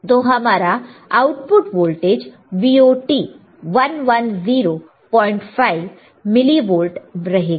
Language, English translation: Hindi, So, our output voltage Vot would be 110